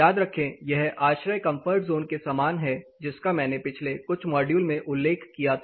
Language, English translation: Hindi, Remember this is similar to the ASHRAE comfort zone which I had mentioned in the previous module